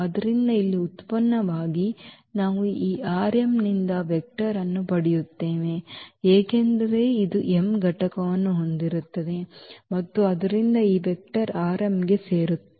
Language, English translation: Kannada, So, as a product here we will get a vector from this R m because this will have m component and so, this vector will belong to R m